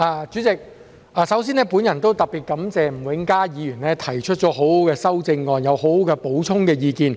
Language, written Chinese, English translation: Cantonese, 主席，首先，我特別感謝吳永嘉議員提出很好的修正案，有很好的補充意見。, President first of all I would like to thank Mr Jimmy NG for his very good amendment and very good supplemental comments